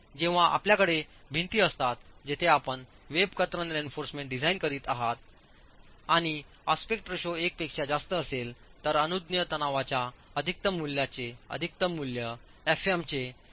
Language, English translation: Marathi, When you have walls where you are designing web share reinforcement and the aspect ratio is greater than one, the maximum value of the maximum value of the permissible stress is 0